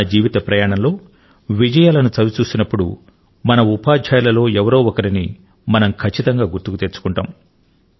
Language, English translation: Telugu, Whenever we think of the successes we have had during the course of our lifetime, we are almost always reminded of one teacher or the other